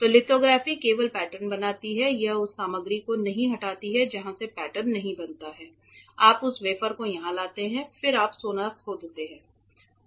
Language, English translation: Hindi, So, only lithography only forms the pattern it does not remove material from where the pattern is not formed you bring that wafer here then you etch the gold